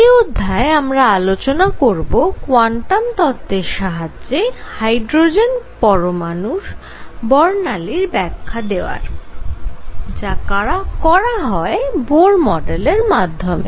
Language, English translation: Bengali, In this lecture, we are now going to discuss application of quantum theory to explain the spectrum of hydrogen atom what is known as Bohr model of hydrogen spectrum